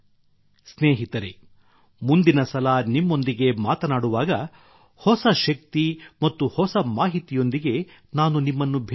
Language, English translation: Kannada, Friends, the next time I converse with you, I will meet you with new energy and new information